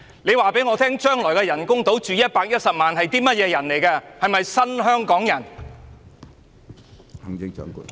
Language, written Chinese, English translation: Cantonese, 你卻告訴我將來的人工島可供110萬人居住，這些究竟是甚麼人？, But then you told us that the proposed artificial islands would house 1.1 million residents